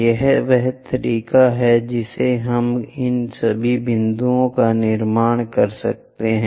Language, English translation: Hindi, This is the way we construct all these points